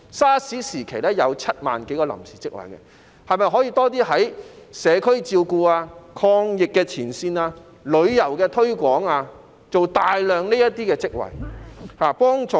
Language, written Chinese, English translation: Cantonese, SARS 時期有7萬多個臨時職位，政府是否可以在社區照顧、抗疫前線和旅遊推廣方面提供大量職位，從而提供協助？, During SARS some 70 000 temporary jobs were created . Can the Government provide a large number of jobs relating to community care frontline anti - epidemic work and promotion of tourism in order to offer assistance?